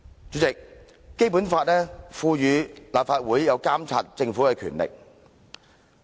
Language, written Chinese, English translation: Cantonese, 主席，《基本法》賦予立法會監察政府的權力。, President the Basic Law empowers the Legislative Council to monitor the Government